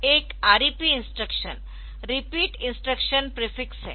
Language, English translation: Hindi, There is one REP instruction prefix repeat instruction prefix